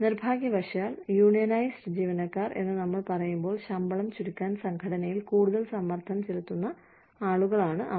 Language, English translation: Malayalam, So, but unfortunately, when we say, unionized employees, they are sometimes, the people, who put a lot more pressure on the organization, to compress the salaries